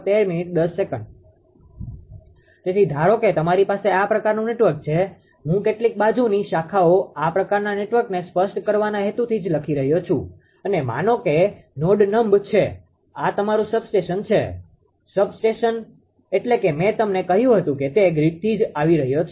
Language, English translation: Gujarati, So, suppose you have this kind of network some some lateral branches I am taking just for the purpose of explicit this kind of network I am taking and suppose node numb this is your substrate substation means I told you that it is coming from the grid right